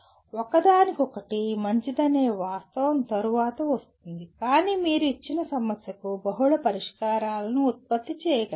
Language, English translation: Telugu, The fact that one is better than the other comes next but you should be able to produce multiple solutions for a given problem